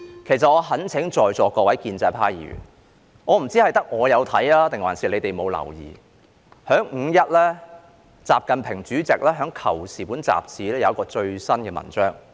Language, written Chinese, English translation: Cantonese, 其實我懇請在座各位建制派議員......我不知道只有我看到，還是他們沒有留意，習近平主席於"五一"在《求是》雜誌發表了一篇最新的文章。, In fact I implore all the pro - establishment Members here I do not know if I am the only one who has read it or they have not noticed it but President XI Jinping published an article the latest one in Qiushi Journal on 1 May